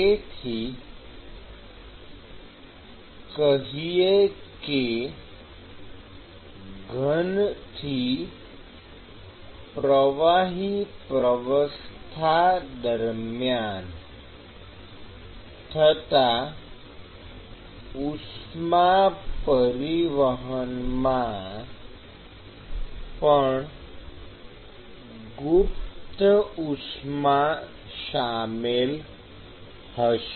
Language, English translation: Gujarati, So, heat transport from let us say solid to liquid will also have latent heat